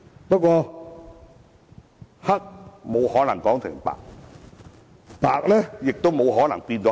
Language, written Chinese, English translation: Cantonese, 不過，黑是沒有可能說成白，而白亦沒有可能變成黑。, Nevertheless what is black cannot be confounded as white or vice versa